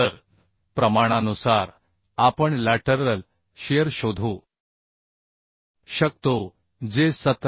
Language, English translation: Marathi, 52 so by proportioning we can find out the lateral shear that is 17